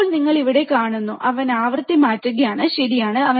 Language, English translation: Malayalam, Now, you see here, he is changing the frequency, right